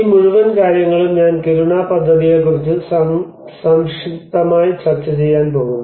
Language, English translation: Malayalam, So this whole thing I am going to discuss briefly about the Kiruna project